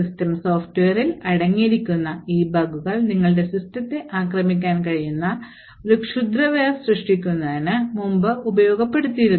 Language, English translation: Malayalam, So, these bugs present in system software have been in the past exploited quite a bit to create a malware that could attack your system